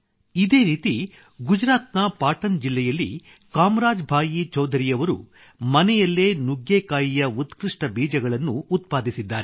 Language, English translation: Kannada, In the same way Kamraj Bhai Choudhary from Patan district in Gujarat has developed good seeds of drum stick at home itself